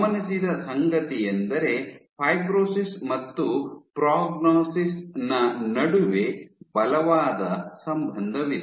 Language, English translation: Kannada, And what has been observed is there is a strong correlation between fibrosis and prognosis